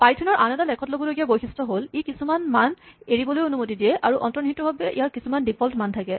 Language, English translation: Assamese, Another nice feature of python is that, it allows some arguments to be left out and implicitly have default values